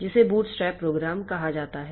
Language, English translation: Hindi, So, which is called bootstrap program